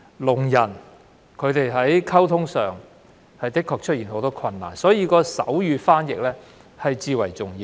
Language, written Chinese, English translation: Cantonese, 聾人在溝通上確實面對很多困難，因此手語傳譯至為重要。, As deaf people actually face a lot of difficulties in communication sign language interpretation is of paramount importance